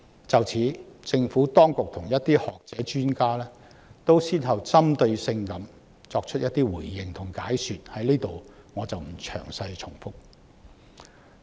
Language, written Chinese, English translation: Cantonese, 就此，政府當局及一些學者專家先後作出了針對性的回應和解說，我在此不詳細重複。, In this connection the Government and some scholars and experts have one after another made targeted responses and explanations which I will not repeat in detail here